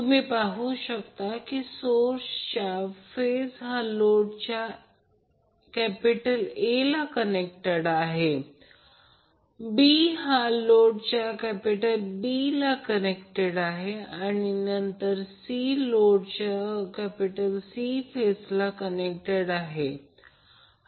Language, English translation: Marathi, So you will see that the A phase of the source is connected to A of load, B is connected to B of load and then C is connected to C phase of the load